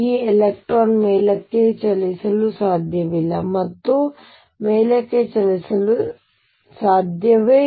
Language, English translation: Kannada, This electron cannot move up cannot move up